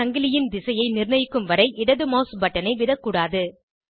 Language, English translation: Tamil, Do not release the left mouse button until the direction of the chain is fixed